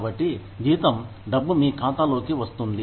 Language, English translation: Telugu, So, salary is the money, that comes into your account